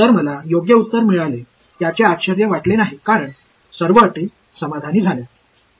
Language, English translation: Marathi, So, this is no surprise I got the correct answer because, all the conditions are satisfied